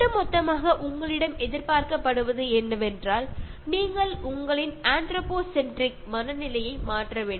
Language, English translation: Malayalam, Overall, what is expected is that you should change your anthropocentric mindset